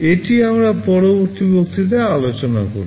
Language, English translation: Bengali, This we shall be discussing in the next lecture